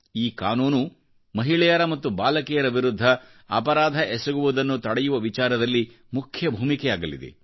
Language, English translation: Kannada, This Act will play an effective role in curbing crimes against women and girls